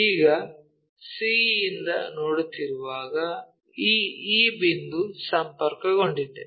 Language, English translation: Kannada, Now, when we are looking from c this point e is connected